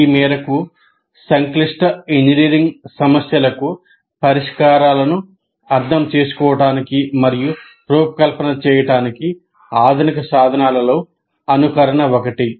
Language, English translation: Telugu, Now, to that extent, simulation constitutes one of the modern tools to understand and design solutions to complex engineering problems